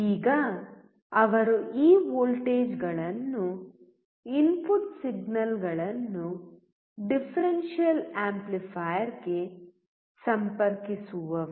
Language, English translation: Kannada, Now he will connect this voltages, input signals to the differential amplifier